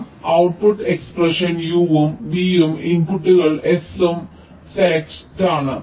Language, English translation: Malayalam, i the output expression, u and v are the inputs and s is the select